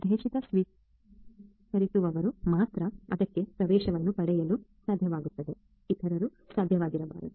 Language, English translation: Kannada, Only the intended recipients should be able to get access to it; others should not be able to